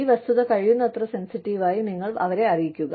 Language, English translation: Malayalam, You communicate this fact to them, in as sensitive a manner, as possible